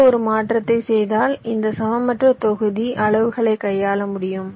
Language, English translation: Tamil, just this one change if you make, then you will be able to handle this unequal block sizes